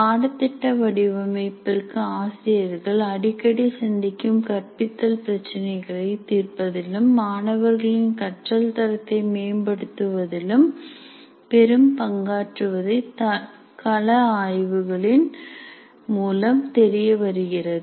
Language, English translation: Tamil, And it has been observed through field surveys that course design has the greatest potential for solving the problems that faculty frequently face in their teaching and improve the quality of learning significantly